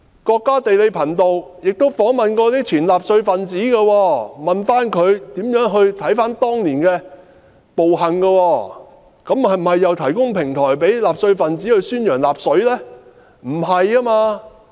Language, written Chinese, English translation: Cantonese, 國家地理頻道亦曾訪問前納粹分子，詢問他們如何評價當年的暴行，這是否等於提供平台給納粹分子宣揚納粹？, The National Geographic Channel once interviewed some former Nazis and asked them to evaluate the atrocities back then was this tantamount to providing a platform for the Nazis to advocate Nazism?